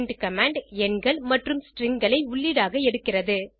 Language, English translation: Tamil, print command, takes numbers and strings as input